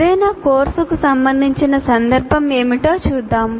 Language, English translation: Telugu, Let us look at what is the context of concern for any course